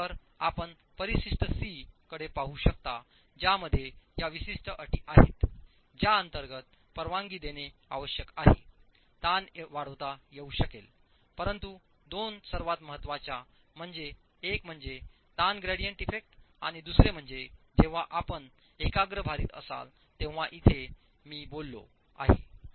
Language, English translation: Marathi, So you can look at appendix C which has these specific conditions under which permissible stresses can be increased, but the two most important, the first one being the strain gradient effect and the second one being when you have concentrated loads is what I have touched upon here